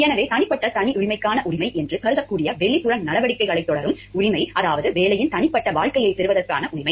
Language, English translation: Tamil, So, the right to pursue the outside activities that can be thought of as the right to personal privacy, in the sense that, it means the right to have a private life of the job